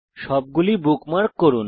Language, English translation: Bengali, * Bookmark all of them